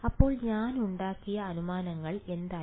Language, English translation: Malayalam, So, what was in the assumptions that I made